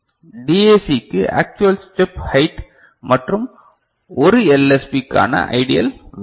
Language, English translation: Tamil, And for DAC the actual step height and ideal value of 1 LSB ok